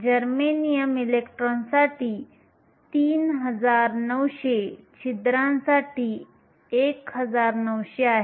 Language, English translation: Marathi, Germanium is 3900, 1900 for your holes